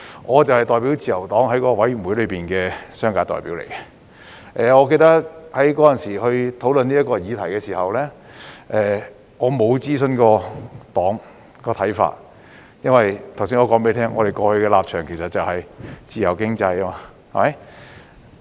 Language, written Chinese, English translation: Cantonese, 我就是自由黨在該委員會的商界代表，記得在當時討論這項議題時，我沒有諮詢政黨的看法，因為剛才我也提到，我們過去的立場其實是奉行自由經濟。, I was the spokesperson for the Liberal Party in the Panel representing business sectors . I remember that I had not sought the views of my party when this subject was discussed at that time because as I have just mentioned in the past we had in fact believed in a free economy